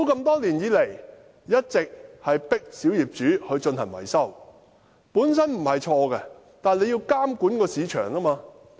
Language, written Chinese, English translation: Cantonese, 多年來，政府一直迫使小業主進行維修，此舉本身沒有錯，但政府應要監管市場。, Over the years the Government has been compelling minority owners to carry out maintenance works . Such an initiative is not wrong by itself but the Government should supervise the market